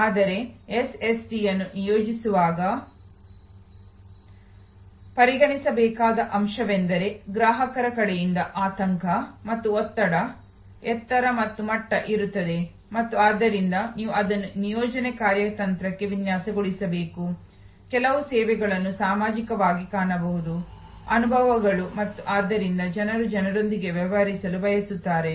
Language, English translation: Kannada, But, it is remains a point to consider while deploying SST that there will be a height and level of anxiety and stress on the customer side and therefore, you must design that into the deployment strategy, also there can be some services are seen as social experiences and therefore, people prefer to deal with people